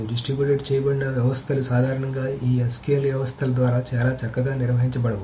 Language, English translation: Telugu, So distributed systems are not generally handled very well, very elegantly by this SQL systems